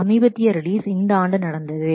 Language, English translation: Tamil, The recent releases happened this year